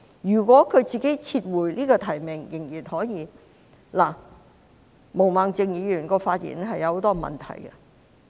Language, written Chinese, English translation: Cantonese, 如果她自己撤回提名仍然可以。"毛孟靜議員的發言有很多問題。, If she withdraws her nomination it is still OK End of quote Ms Claudia MOs speech is fraught with problems